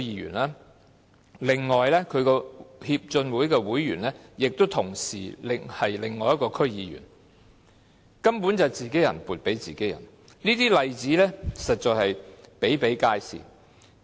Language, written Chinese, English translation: Cantonese, 此外，另一名區議員亦是其會員，根本是自己人撥款予自己人，這些例子實在比比皆是。, Another DC member is also its member . In fact the funds were allocated to ones own peers . These examples indeed abound